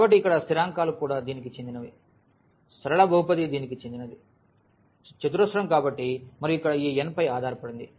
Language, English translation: Telugu, So, here the constants also belong to this, the linear polynomial belongs to this, quadratic at so and so on depending on this n here